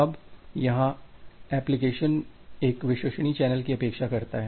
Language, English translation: Hindi, Now, the application here expects a reliable channel